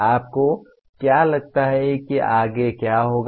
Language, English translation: Hindi, What do you think would happen next …